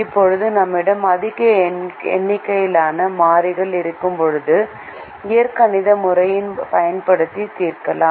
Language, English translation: Tamil, now, when we have a large number of variables, we can use the algebraic method to solve